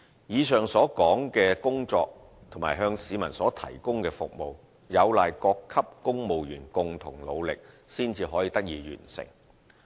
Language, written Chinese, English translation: Cantonese, 以上所述的工作及向市民提供的服務，有賴各級公務員共同努力才得以完成。, It is owing to the joint efforts of civil servants at all levels that the above mentioned work can be properly accomplished and the services duly provided to the public